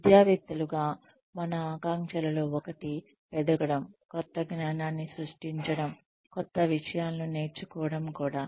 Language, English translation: Telugu, One of our aspirations as academics, is also to grow, is also to create new knowledge, is also to learn new things